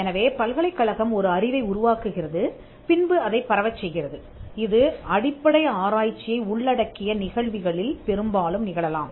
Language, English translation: Tamil, So, the university develop some knowledge and it disseminated it passed it on and this can happen largely in cases covering basic research